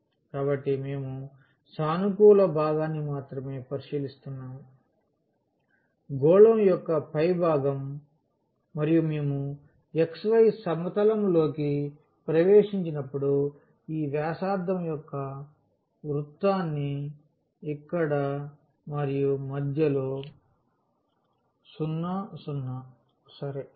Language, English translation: Telugu, So, we are considering only the positive part; the upper half of the sphere and when we project into the xy plane we will get this circle of radius a here and the center at 0 0 ok